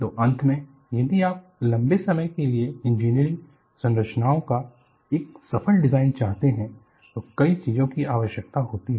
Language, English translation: Hindi, So, finally, if you want to have a successful design of engineering structures, for long term life, requires many things